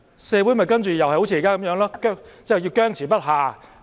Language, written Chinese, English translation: Cantonese, 社會其後又會像現在一樣僵持不下。, By then society will be in a deadlock as in the case of the present situation